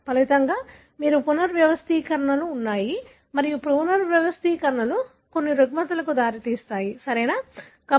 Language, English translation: Telugu, As a result, you have rearrangements and the rearrangements are known to result in certain disorders, right